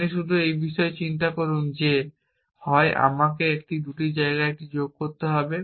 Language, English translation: Bengali, You just think about this that either I must add it in both these places or I can live it out of both these places